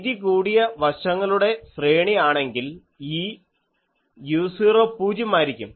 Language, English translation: Malayalam, If for a broad side array, this u 0 is 0 that is why it comes here